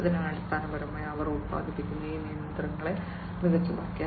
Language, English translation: Malayalam, So, basically they have made these machines that they produce smarter